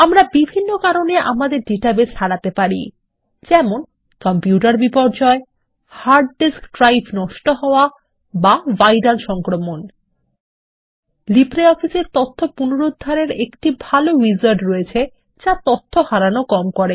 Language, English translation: Bengali, We could lose our database due to LibreOffice has a good recovery wizard that minimizes the data loss